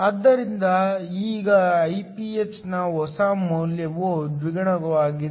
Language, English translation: Kannada, So, now, the new value of Iph is double